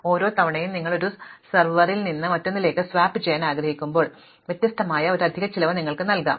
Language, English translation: Malayalam, Then each time you want to swap from one server to another, you could pay an extra cost which is different